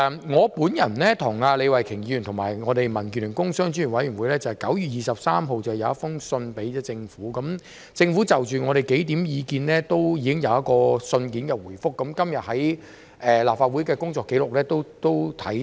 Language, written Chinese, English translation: Cantonese, 我、李慧琼議員和民建聯工商專業委員會在9月23日致函政府，政府就我們數項意見作了信件回覆，在今天的立法會工作紀錄也可看到。, I Ms Starry LEE and the Business and Professional Affairs Committee of the Democratic Alliance for the Betterment and Progress of Hong Kong wrote to the Government on 23 September . The Government gave a written response to several of our comments which can be found in the records of the Council meeting today